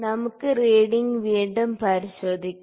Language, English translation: Malayalam, Now, let us check the reading again